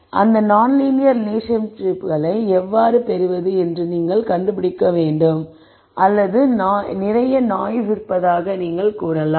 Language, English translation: Tamil, Then you have to figure out how to get those non linear relationships or you could say there is a lot of noise